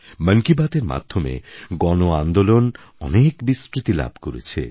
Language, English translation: Bengali, The medium of 'Mann Ki Baat' has promoted many a mass revolution